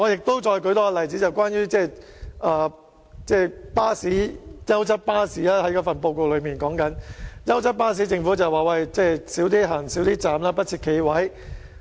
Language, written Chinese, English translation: Cantonese, 我再舉一個例子，就是報告提及的優質巴士服務，政府表示優質巴士可以減少停站，不設企位。, Let me cite another example . The report mentions the provision of higher - quality bus services . The Government says that higher - quality bus services may be achieved by reducing the number of stops and offering guaranteed seats